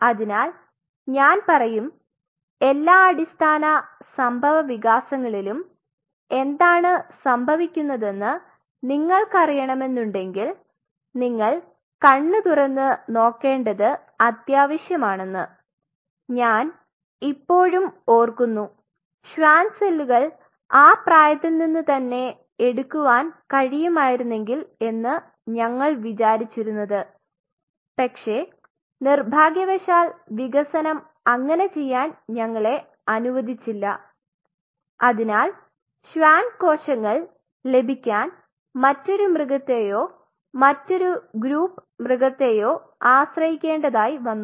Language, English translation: Malayalam, So, it is very kind of I would say that essential that you keep your eyes open that you know what all the basic developments are happening now think of it like I still remember we used to think that if we could get the Schwann cells off from that age, but unfortunately the development does not allow us to do so, so we have to depend on another animal or another each group animal to get the Schwann cells